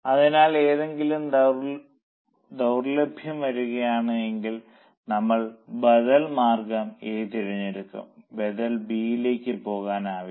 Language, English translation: Malayalam, So, if something is in short supply, we choose alternative A, we cannot go for alternative B